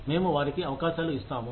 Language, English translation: Telugu, We will give them opportunities